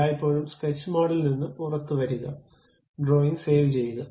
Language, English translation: Malayalam, Always come out of sketch mode, save the drawing